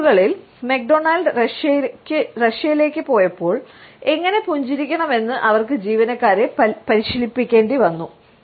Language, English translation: Malayalam, When McDonald’s went to Russia in the nineties, they had to coach their employees on how to smile